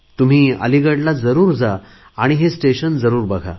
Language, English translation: Marathi, If you go to Aligarh, do visit the railway station